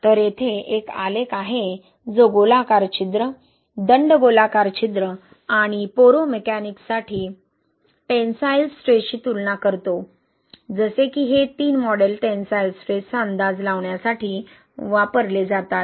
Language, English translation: Marathi, So, here is a graph compares the tensile stresses for spherical pores, cylindrical pores, poromechanics, like these are the three models used to predict the tensile stresses